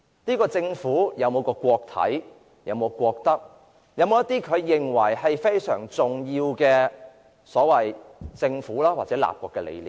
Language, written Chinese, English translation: Cantonese, 這個政府有否顧及國體、國德，有否顧及一些被認為非常重要的政府或立國理念呢？, Has this Government given due regard to the prestige and ethic of the country? . Has it given due regard to the philosophy of the Government or of the founding of the country which is considered most important?